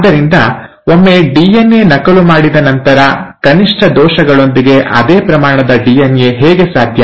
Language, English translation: Kannada, So once the DNA has been duplicated, how is it that the same amount of DNA with minimal errors